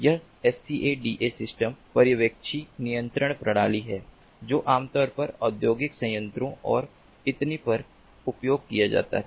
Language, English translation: Hindi, this scada systems are supervisory, control systems that used to be typically used in industrial plants and so on